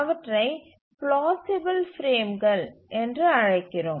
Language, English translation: Tamil, We call that as plausible frames